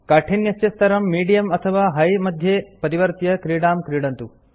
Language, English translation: Sanskrit, Change the difficulty level to Medium or Hard and play the game